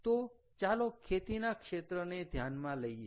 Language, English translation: Gujarati, ok, so lets take into account agriculture